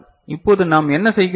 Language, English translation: Tamil, Now what we are doing